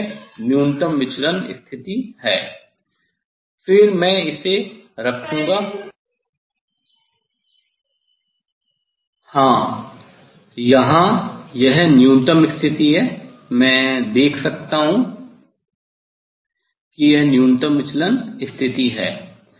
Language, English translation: Hindi, Yes, here it is the minimum position I can see this is the minimum deviation position